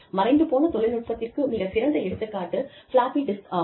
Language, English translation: Tamil, And a very classic example of an outdated technology is the floppy disk